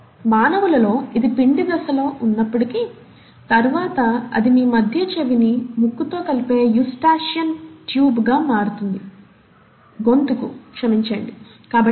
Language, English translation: Telugu, Well in humans, though it is present in the embryonic stage, it later ends up becoming a ‘Eustachian Tube’, tube or a tube which actually connects your middle ear to the nose